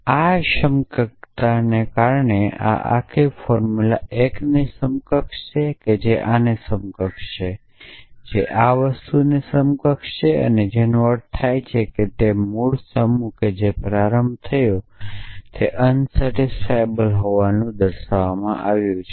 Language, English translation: Gujarati, Because of this equivalence this whole formula is equivalent to the 1 before that which is equivalent to this which is equivalent to this which is equivalent to this which means the original set that started with is shown to be unsatisfiable